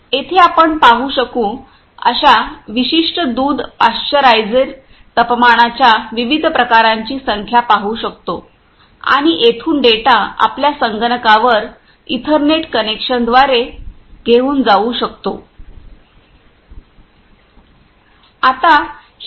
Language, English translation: Marathi, Here we can see the numbers of different type of temperatures of particular milk pasteurisers we can see and from here we can take the data to our to our computers by ethernet connections